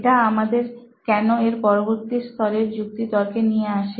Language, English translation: Bengali, So it brings us to the next level of why reasoning